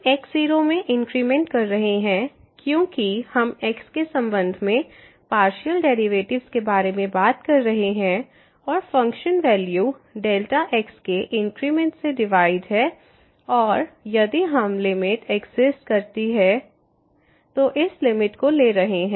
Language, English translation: Hindi, So, the increment in because we are taking or we are talking about the partial derivatives with respect to x and the function value divided by the delta increment and taking this limit if this limit exists